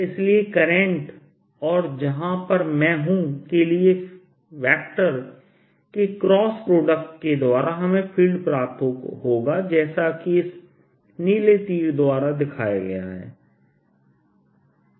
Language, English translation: Hindi, so i cross the vector to the point where i am is going to give me a feel as shown by this blue arrow